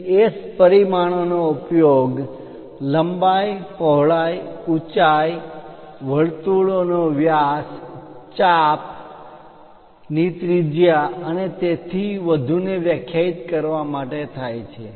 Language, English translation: Gujarati, So, size S dimensions are used to define length, width, height, diameter of circles, radius of arcs and so on, so things